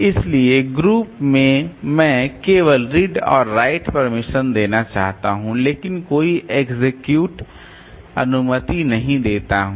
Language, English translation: Hindi, So group it is I want to give only the read and write but no execute permission